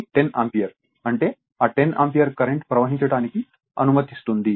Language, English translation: Telugu, So, 10 Ampere; that means, you will allow that 10 Ampere current to flow right